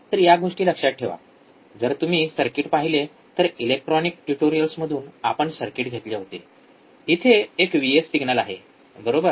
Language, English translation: Marathi, So, remember this terms, if you see this circuit we have taken the circuit from electronic tutorials we have if you see here there is a signal V s, right